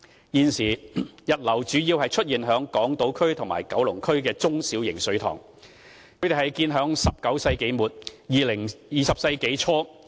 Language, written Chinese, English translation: Cantonese, 現時，溢流主要出現於港島區和九龍區的中、小型水塘，它們都是建於19世紀末、20世紀初。, At present overflow mainly occurs in small and medium reservoirs on Hong Kong Island and in Kowloon District―reservoirs that were built between the end of the 19 century and early 20 century